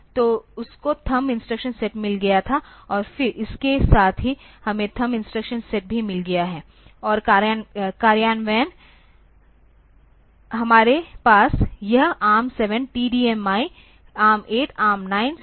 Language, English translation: Hindi, So, that is that had the thumb instruction set, and then the along with also we have got the thumb instruction set as well, and the implementations we have this ARM 7 TDMI, ARM 8, ARM 9, strong ARM